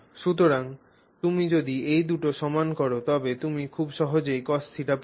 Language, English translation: Bengali, So, now if you equate these two, you can get cost theta very easily